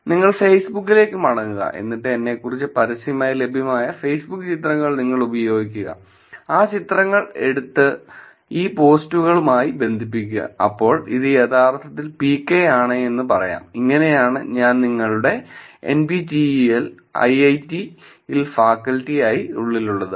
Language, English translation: Malayalam, And you go back to Facebook, and then you use the Facebook pictures that are publicly available about me, take those pictures connect it with these posts you can say it oh this is actually PK, this is how I will also I mean insides your faculty and IIIT, NPTEL